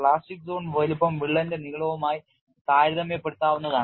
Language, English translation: Malayalam, The plastic zone size is comparable to length of the crack